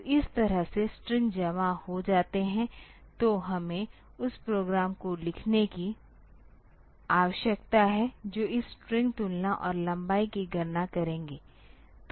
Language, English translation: Hindi, So, this way the strings are stored; so, we need to write down the program which we will do this string comparison and length calculation